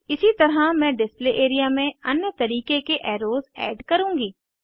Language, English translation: Hindi, Likewise I will add other types of arrows to the Display area